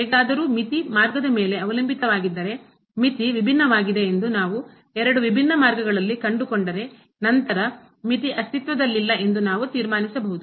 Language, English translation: Kannada, However, if the limit is dependent on the path, so if we find along two different paths that the limit is different; then, at least we can conclude that limit does not exist